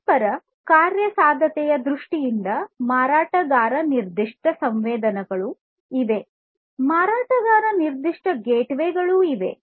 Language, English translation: Kannada, In terms of interoperability there are vendor specific sensors; vendor specific gateways each of these speak different languages